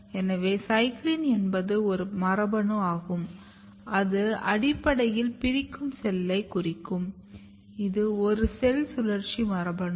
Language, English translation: Tamil, So, CYCLIN is a gene which is which basically marks the dividing cell it is a cell cycle gene, so it is marks the dividing cell